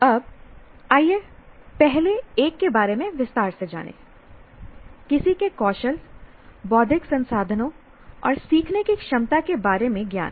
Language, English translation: Hindi, Now let us look at a little more in detail about the first one, knowledge about one skills, intellectual resources, and abilities as learners